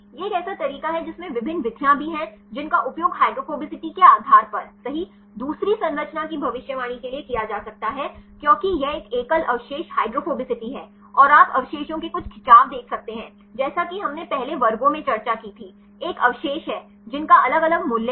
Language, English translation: Hindi, This is one way there also different methods which can be used for predicting the second the structure based on the average hydrophobicity right because this is a single residue hydrophobicity and you can see some stretch of residues as we discussed in earlier classes, there is one residue which are having different value